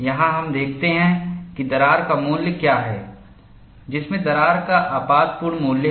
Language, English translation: Hindi, Here, we see what is the value of toughness at which crack has a catastrophic value